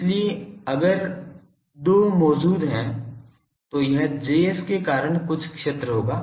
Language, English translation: Hindi, So, if there are 2 present it will be some of the field due to Js